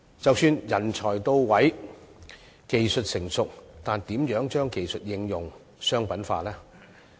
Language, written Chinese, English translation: Cantonese, 即使人才到位，技術成熟，但如何將技術應用及商品化呢？, Even if the talents are readily available and the technologies are mature how can these technologies be applied and commercialized?